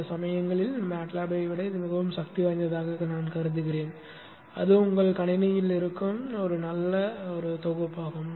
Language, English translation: Tamil, Sometimes I find it much more powerful than MATLAB but anyway that is a good package to have on your system